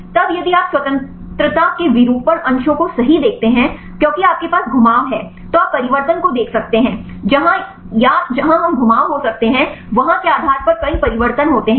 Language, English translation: Hindi, Then if you see the conformation degrees of freedom right, because you have the rotations right you can see the conformation changes, there are several conformation changes depending upon where or how many places where we can have the rotations